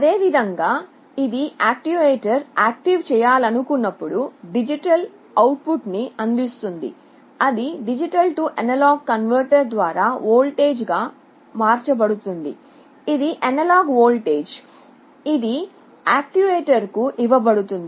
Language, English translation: Telugu, And similarly when it wants to activate the actuator it provides with a digital output which through a D/A converter it is converted into a voltage; it is a analog voltage that is fed to an actuator